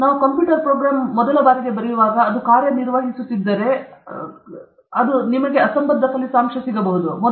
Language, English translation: Kannada, First time when we are writing a computer program, if it works, I can give it in writing that you will get absurd results